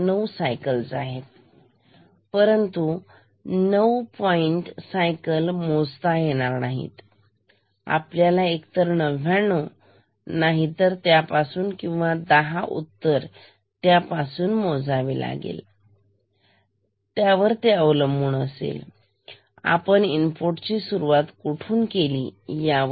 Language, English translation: Marathi, 9 cycles, but 9 point cycles cannot be counted we will count either 9 falling edges or 10 falling edges depending on where the input starts ok